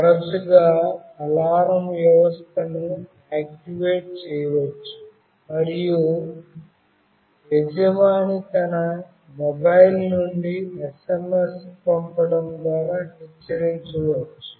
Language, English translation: Telugu, Often the alarm system can be activated and the owner can be warned by sending an SMS fon his or her mobile phone